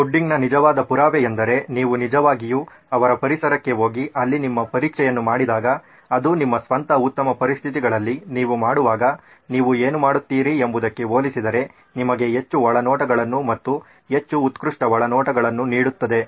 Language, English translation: Kannada, The actual proof of the pudding is when you actually go to their environment and do your testing there, that gives you far more insights and far more richer insights compared to what you would do when you are doing it in your own best conditions